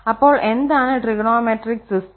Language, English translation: Malayalam, So, what is the trigonometric system